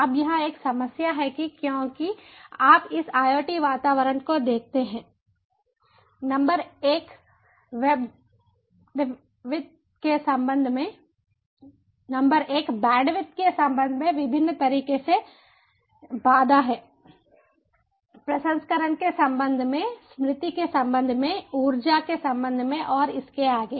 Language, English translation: Hindi, thats a problem because, you see, this iot environments, this iot environments number one, are constraint in different ways with respect to bandwidth, with respect to processing, with respect to memory, with respect to energy and so and so forth